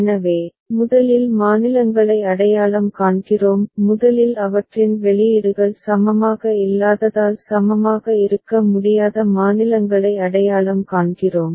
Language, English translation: Tamil, So, first we identify the states; first we identify the states which cannot be equivalent as their outputs are not equivalent ok